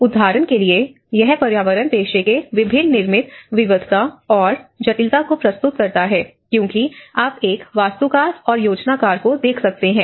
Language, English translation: Hindi, For instance, it presents the variety of different built environment professions and the complexity this presents; because you can see an architect, a planner